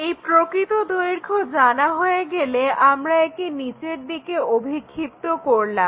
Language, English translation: Bengali, Once, this true length is known we project this all the way down